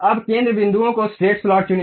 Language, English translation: Hindi, Now, pick the center points straight slot